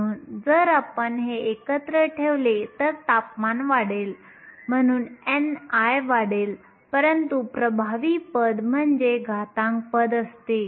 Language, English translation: Marathi, So, if you put these together n i will increase as temperature increases, but the dominant term is the exponential term